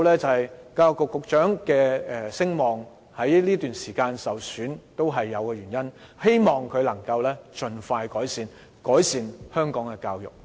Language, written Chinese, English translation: Cantonese, 所以，教育局局長的聲望在這段時間受損也是有其原因的，希望他能盡快改善香港的教育。, Hence there is a reason behind the recent dropping popularity of the Secretary for Education . I hope that he can expeditiously improve the education in Hong Kong